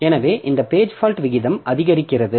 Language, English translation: Tamil, So, this page fault rate increases